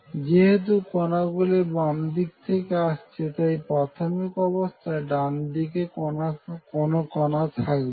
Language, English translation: Bengali, So, from the expectation that particles are coming from left; so, initially they are no particles to the right